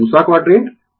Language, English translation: Hindi, This is second quadrant